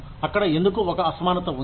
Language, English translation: Telugu, Why is there, a disparity